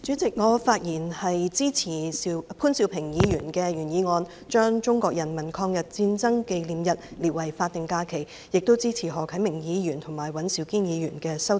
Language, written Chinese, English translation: Cantonese, 代理主席，我發言支持潘兆平議員的原議案，把中國人民抗日戰爭勝利紀念日列為法定假日，亦支持何啟明議員及尹兆堅議員的修正案。, Deputy President I speak in support of the original motion of Mr POON Siu - ping to designate the Victory Day of the Chinese Peoples War of Resistance against Japanese Aggression as a statutory holiday and I also support the amendments of Mr HO Kai - ming and Mr Andrew WAN